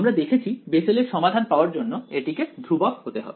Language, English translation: Bengali, We have seen that to get Bessel’s solution out of this it should be a constant right